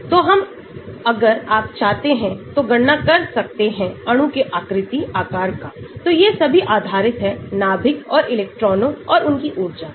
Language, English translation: Hindi, so we can if you want to find out the size, shape of the molecule these are all determined based on nucleus and electrons and their energy